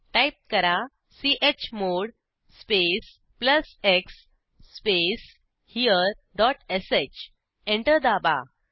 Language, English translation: Marathi, Type: chmod space plus x space here dot sh Press Enter